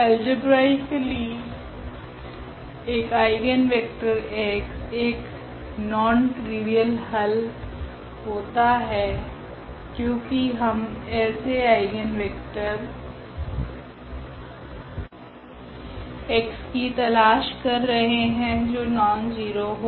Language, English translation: Hindi, Algebraically, an eigenvector x is a non trivial solution because we are looking for the eigenvector x which is nonzero